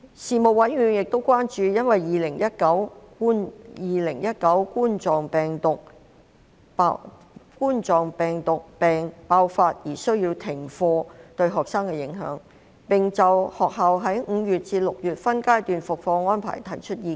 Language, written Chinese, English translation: Cantonese, 事務委員會亦關注因2019冠狀病毒病爆發而需要停課對學生的影響，並就學校在5月至6月分階段復課的安排提出意見。, The Panel has also expressed concern about the impacts caused to students due to class suspension as a result of the outbreak of Coronavirus Disease 2019 and gave views on the arrangements of class resumption by phases in May and June